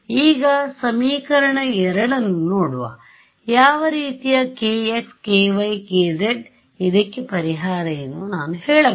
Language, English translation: Kannada, Now, looking at equation 2, what form of k x, k y, k z do you think I can say is a solution to this